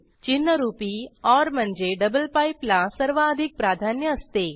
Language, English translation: Marathi, Symbolic or i.e double pipe has higher precedence